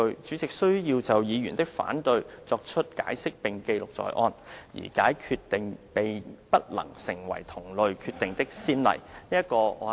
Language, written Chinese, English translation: Cantonese, 主席須要就議員的反對作出解釋並記錄在案，而該決定並不能成為同類決定的先例。, The President or the Chairman shall then explain his decision and the explanation should be put on record . The decision shall not be binding on later decisions